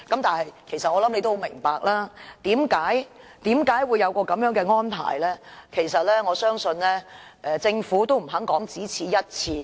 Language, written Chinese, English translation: Cantonese, 但我想他也明白為何會有這種安排，而我相信政府其實也不肯說這是"一次性安排"。, But I think he can understand why this arrangement is necessary and I believe the Government actually does not want to say that this is a one - off arrangement